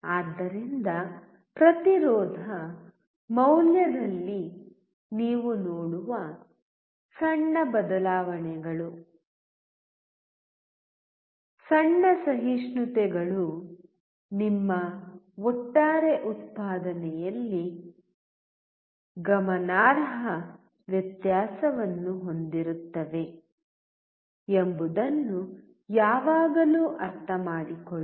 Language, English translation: Kannada, So, always understand that the small changes, small tolerances that you see in the resistance value will have a significant difference on your overall output